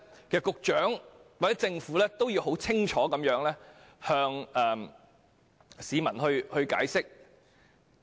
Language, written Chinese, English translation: Cantonese, 局長或政府其實要向市民解釋清楚。, The Secretary or the Government actually needs to explain it clearly to members of the public